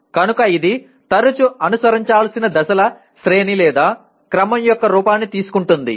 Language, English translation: Telugu, So it often takes the form of a series or sequence of steps to be followed